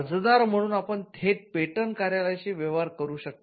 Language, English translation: Marathi, As an applicant, you can directly deal with the patent office